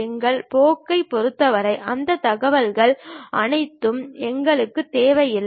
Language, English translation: Tamil, For our course, we may not require all that information